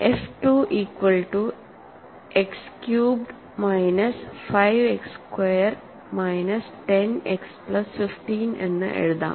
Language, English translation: Malayalam, So, let me write f equals to 2 X cubed minus 5 X squared minus 10 X plus 15